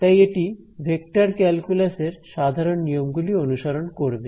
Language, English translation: Bengali, So, it obeys the usual laws of vector calculus